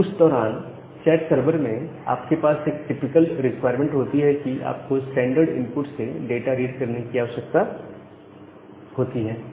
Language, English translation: Hindi, Now, at that time in a chat server you have a typical requirement that you need to also read data from standard input